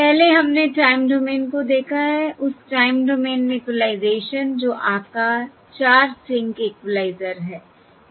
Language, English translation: Hindi, First we have seen Time Domain Equalisation that is based on 0, 4 sync, 0, 4sync equaliser